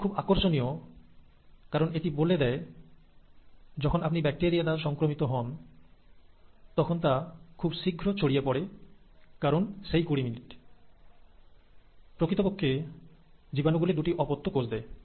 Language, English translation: Bengali, Now that's interesting because this should also tell you why once you have a bacterial infection, it just spreads so quickly because every twenty minutes, the microbe is actually giving rise to two daughter cells